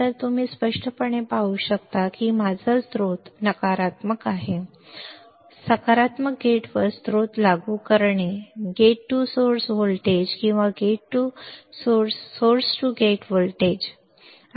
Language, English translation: Marathi, So, you can see clearly my source is negative gate is positive applying source to gate, gate to source voltage or source to gate voltage